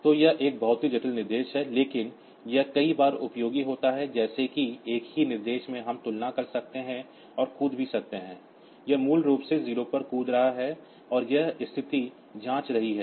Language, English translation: Hindi, So, this is a very complex instruction that way, but that is many times that is useful in a single instruction we can compare and also jump it is basically jump on 0 and this condition checking